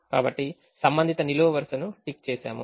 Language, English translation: Telugu, so tick the corresponding column